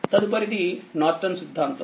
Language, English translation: Telugu, Next is your Norton theorem